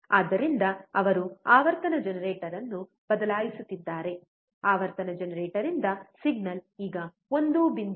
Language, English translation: Kannada, So, he is changing the frequency generator; the signal from the frequency generator which is now 1